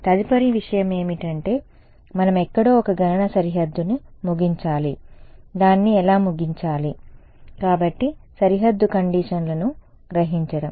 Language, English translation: Telugu, Next thing is we need to terminate a computitional boundary somewhere, how do we terminate it right; so, absorbing boundary conditions